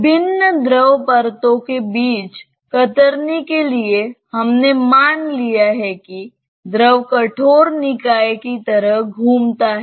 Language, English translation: Hindi, The shear between various fluid layers, we have assumed that the fluid rotates like a rigid body